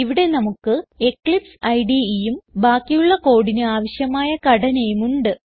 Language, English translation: Malayalam, Switch to eclipse Here we have Eclipse IDE and the skeleton required for the rest of the code